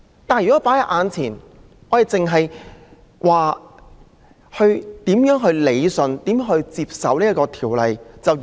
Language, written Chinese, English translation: Cantonese, 但是，我們目前卻只顧討論如何理順和接受《條例》的修訂。, However right now we are only discussing how to rationalize and accept the amendments to the Ordinance